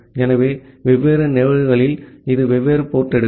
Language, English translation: Tamil, So, at different instances it takes different port